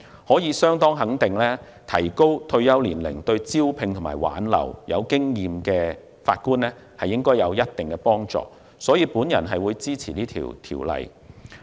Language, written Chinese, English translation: Cantonese, 可以相當肯定的是，延展退休年齡對招聘及挽留有經驗的法官應有一定幫助，所以，我支持《條例草案》。, It is quite certain that extending the retirement age should be conducive to recruiting and retaining experienced judges; thus I support the Bill